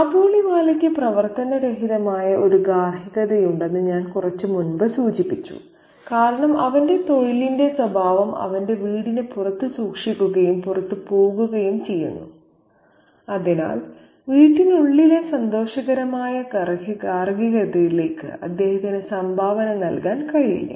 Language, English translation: Malayalam, I just mentioned a little while ago that the Khabaliwala, the Khabaliwala also has a dysfunctional domesticity because the nature of his profession keeps him out of his home and therefore he is unable to contribute to the domesticity, the happy domesticity within his home